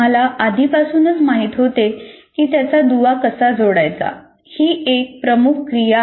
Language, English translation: Marathi, So what we already knew, how to link it is the major activity